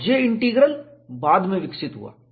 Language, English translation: Hindi, And what is the J Integral